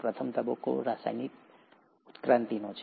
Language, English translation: Gujarati, The very first phase is of chemical evolution